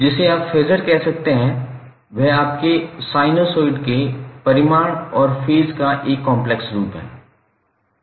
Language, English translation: Hindi, So, what you can say, phaser is a complex representation of your magnitude and phase of a sinusoid